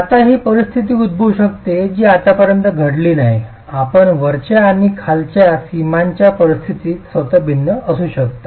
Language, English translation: Marathi, Now this could be a situation that has not occurred, so your top and bottom boundary conditions could be different itself